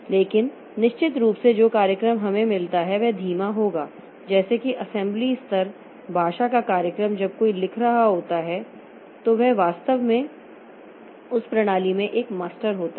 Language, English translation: Hindi, But definitely the program that we get will be slow like assembly level assembly level language program when somebody is writing he is actually a master in that system